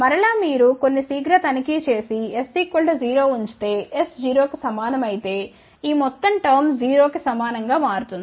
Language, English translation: Telugu, Again, you can make some quick check put s equal to 0, if s is equal to 0 this whole term will become equal to 0